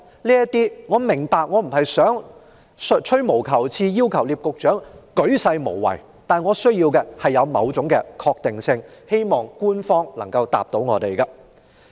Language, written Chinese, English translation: Cantonese, 我並非在吹毛求疵，要求聶局長作出鉅細無遺的解釋，但我需要某種確定性，希望局長能夠回答。, I do not mean to be fussy by requesting Secretary NIP to explain in great details . All I want is some sort of certainty . I hope the Secretary will tell us the answer